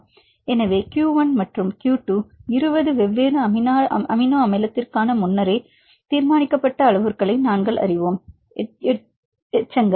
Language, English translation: Tamil, So, q 1 and q 2 we know the predetermined parameters for 20 different amino acid residues